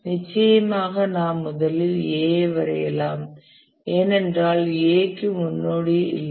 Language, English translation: Tamil, Of course we can straight away draw A because A has no predecessor